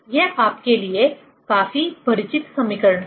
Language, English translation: Hindi, These are quite familiar equation to you